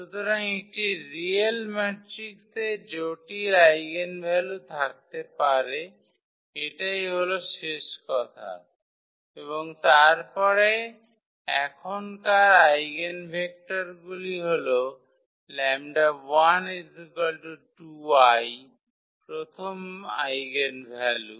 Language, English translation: Bengali, So, a real matrix may have complex eigenvalues that is the remark and then eigenvectors corresponding to now this 2 plus i the first eigenvalue